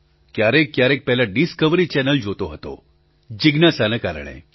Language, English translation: Gujarati, Earlier I used to watch Discovery channel for the sake of curiosity